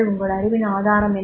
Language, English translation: Tamil, What is the source of your knowledge